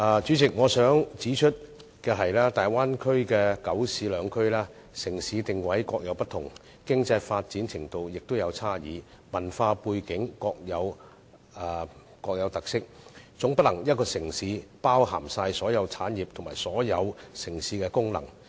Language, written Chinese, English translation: Cantonese, 主席，我想指出的是，大灣區的九市兩區，城市定位各有不同，經濟發展程度有差異，文化背景各有特色，總不能以一個城市包涵所有產業和所有城市的功能。, President the Bay Area covers nine adjoining cities and the two Special Administrative Regions each having different positioning varied level of economic development and unique cultural background . It is impossible for one single city to take up all industries and functions of the cities